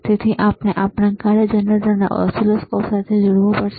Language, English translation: Gujarati, So, we have to connect our function generator to the oscilloscope